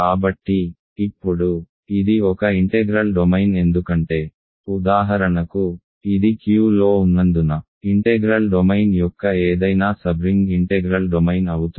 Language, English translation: Telugu, So, now, what, it is an integral domain because for example, it is it is contained in Q any sub ring of an integral domain is an integral domain